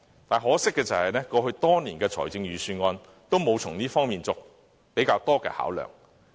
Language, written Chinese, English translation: Cantonese, 很可惜，過去多年的預算案也沒有從這方面作較多的考量。, Much to our disappointment the budgets made in the past years have failed to spend more thoughts on this